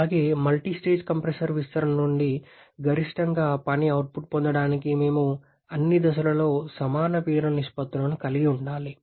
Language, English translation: Telugu, And also, to have the maximum possible work output from multistage compressor expansion, we should have equal pressure ratios in all the stages